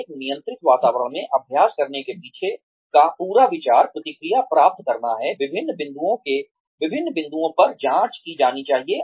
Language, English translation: Hindi, The whole idea behind practicing in a controlled environment, is to get feedback, is to be checked at different points